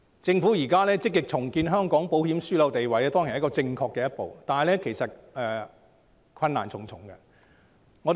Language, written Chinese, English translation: Cantonese, 政府現在積極重建香港保險樞紐的地位，當然是正確的一步，但其實困難重重。, The Government is now actively rebuilding the status of Hong Kong as an insurance hub . This is certainly a right step but we face many difficulties actually